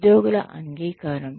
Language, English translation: Telugu, Acceptability by employees